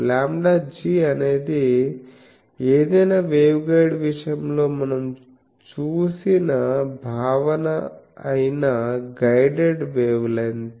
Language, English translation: Telugu, Lambda g is the guided wavelength that concept we have seen in case of any waveguide